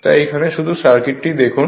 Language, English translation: Bengali, So, if you if you just look into the circuit